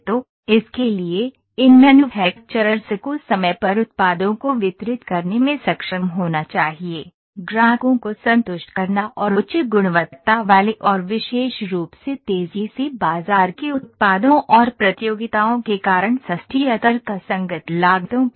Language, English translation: Hindi, So, for that these manufactures should be capable of delivering the products in time, satisfying the customers and most specifically products of higher quality and fast to market and at the affordable or the rational costs because of the competitions